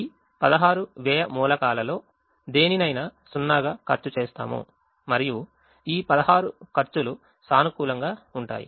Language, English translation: Telugu, but at the moment we don't have any cost, any of these sixteen cost elements as zero, and all these sixteen costs are positive